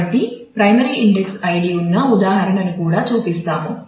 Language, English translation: Telugu, So, here we show an example where the primary index is id